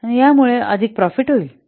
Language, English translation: Marathi, So that will bring more profit